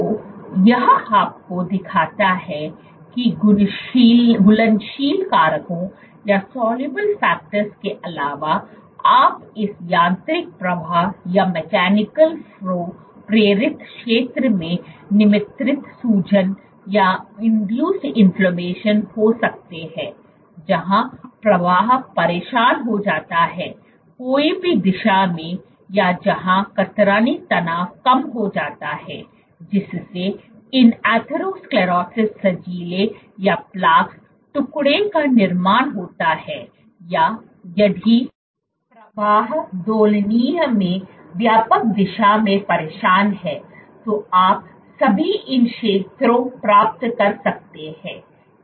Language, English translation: Hindi, So, this shows you that other than soluble factors you can have this mechanical flow induced inflammation created in zones where flow gets disturbed in either one direction or where the shear stress is low that leads to buildup of these atherosclerosis plaques or if the flow is disturbed in wider direction in oscillatory then also you can get these zones with that I Thank you for your attention